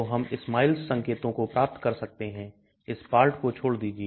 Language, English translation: Hindi, So we can get the SMILES notation, ignore this part